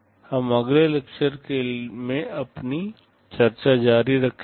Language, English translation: Hindi, We shall be continuing with our discussion in our next lecture